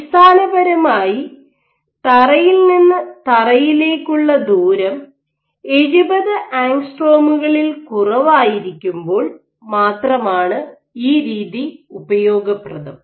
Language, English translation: Malayalam, Essentially you are floor to floor distance has to be less than 70 angstroms to be detected by this method